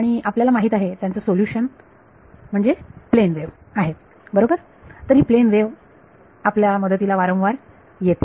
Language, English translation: Marathi, And we know the solution is plane wave right, so this plane wave comes to our rescue many many times